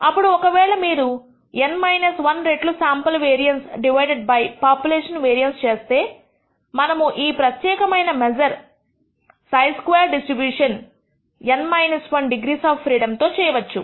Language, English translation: Telugu, Then if you take N minus 1 times the sample variance divided by the popu lation variance, we can show that this particular measure is a chi squared dis tribution with N minus 1 degrees of freedom